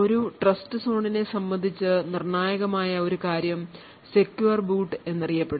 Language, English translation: Malayalam, One thing that is critical with respect to a Trustzone is something known as secure boot